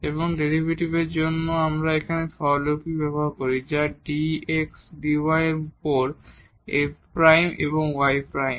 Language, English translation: Bengali, And, the notation here we use for the derivative are f prime y prime over dy over dx